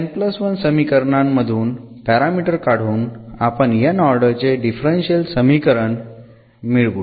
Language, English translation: Marathi, So, here by eliminating this from this n plus 1 equations we will obtain a differential equation of nth order